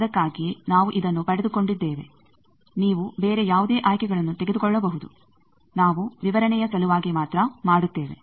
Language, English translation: Kannada, That is why we have given it, you can take any other various choices we just do illustration sake